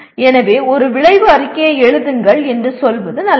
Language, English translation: Tamil, So it is as good as saying that write an outcome statement